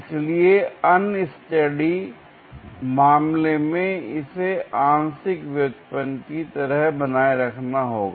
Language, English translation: Hindi, So, for unsteady case one has to retain it like a partial derivative